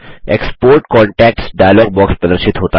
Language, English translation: Hindi, The Export contacts dialog box appears